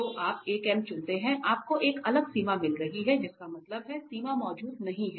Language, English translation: Hindi, So, you choose a different m you are getting a different limit that means, the limit does not exist